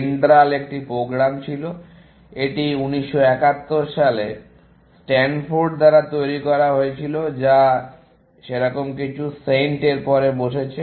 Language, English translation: Bengali, DENDRAL was a program; it was developed by Stanford in 1971 or something like that, came a bit after SAINT